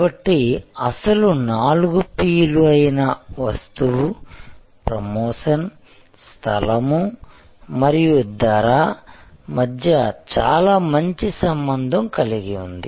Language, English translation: Telugu, So, the original four P's which are Product, Promotion, Place and Price had a very tight coupling